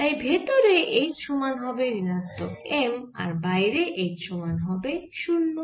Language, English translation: Bengali, so h inside will be equal to minus m and h outside will be equal to zero